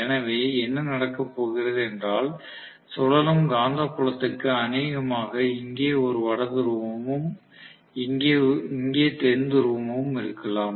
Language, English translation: Tamil, So what is going to happen is the revolving magnetic field probably has a North Pole here and South Pole here at this point